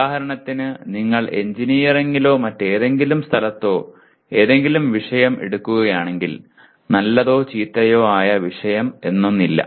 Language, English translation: Malayalam, For example if you take any subject in engineering or any other place there is nothing like a good or bad subject